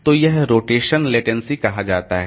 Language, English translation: Hindi, So, that is called rotational latency